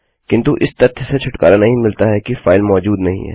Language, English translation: Hindi, But it doesnt excuse the fact that the file doesnt exist